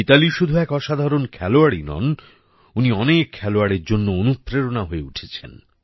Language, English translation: Bengali, Mithali has not only been an extraordinary player, but has also been an inspiration to many players